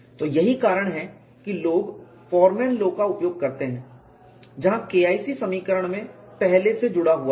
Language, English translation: Hindi, So, that is why people use Forman law where K 1c is embedded in the equation